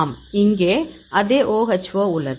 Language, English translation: Tamil, Yes here; OHO the same